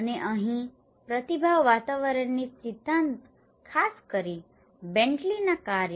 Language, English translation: Gujarati, And here the theory of responsive environments especially the BentleyÃs work